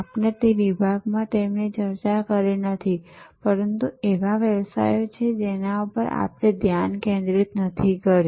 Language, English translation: Gujarati, We did not discuss it in that detail, but there are businesses which are unfocused